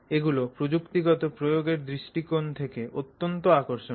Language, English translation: Bengali, This is very, very interesting from technological application perspective